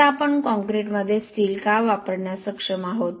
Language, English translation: Marathi, Now why we are able to actually use steel in concrete